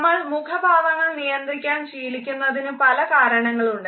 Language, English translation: Malayalam, There are different reasons because of which we learn to control our facial expression of emotion